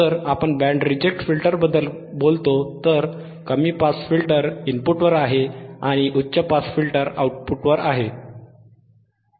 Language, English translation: Marathi, iIf you talk about band reject filter and, low pass filter is at the input and high pass filter is at the output right